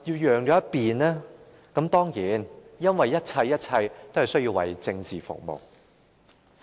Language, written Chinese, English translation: Cantonese, 原因是一切都需要為政治服務。, The reason is that everything is at the service of politics